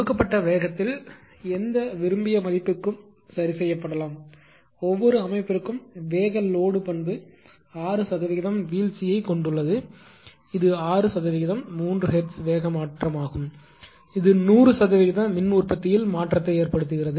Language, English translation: Tamil, At a given speed may be adjusted to any desired value, for is setting the speed load characteristic has a 6 percent group that is a speed change of 6 percentage 3 hertz causes actually 100 percent change in power output